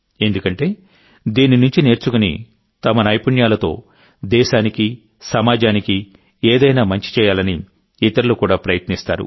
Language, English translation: Telugu, Learning from this, they also try to do something better for the country and society with their skills